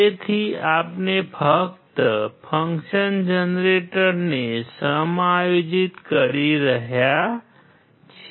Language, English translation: Gujarati, So, we are just adjusting the function generator